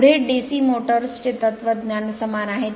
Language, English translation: Marathi, Next is DC motors philosophy is same